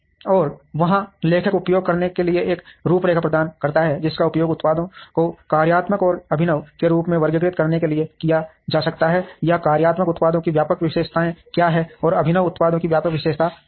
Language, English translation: Hindi, And there the author provides a framework to be used, which can be used to classify products as functional and innovative or talks about what are the broad characteristics of functional products, and what are broad characteristics of innovative products